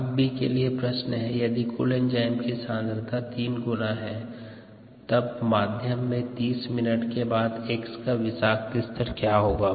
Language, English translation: Hindi, and part b: if the total enzyme concentration is tripled, will the medium contain toxic levels of x after thirty minutes